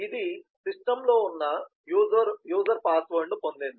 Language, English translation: Telugu, so it has got the password of the user as present in the system